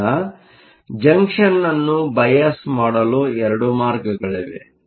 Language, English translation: Kannada, Now, there are 2 ways of biasing the junction